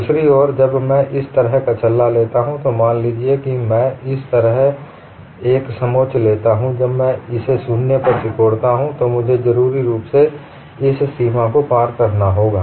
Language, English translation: Hindi, On the other hand when I take a ring like this, suppose I take a contour like this, when I shrink it to 0, I have necessarily crossed this boundary